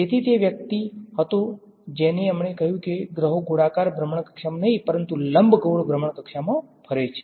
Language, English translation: Gujarati, So, he was the guy who told us that planets move not in circular orbit, but elliptical orbits